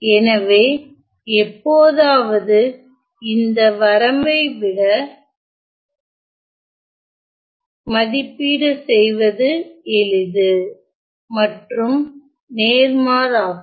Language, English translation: Tamil, So, sometime this limit is easy to evaluate rather than this limit and vice versa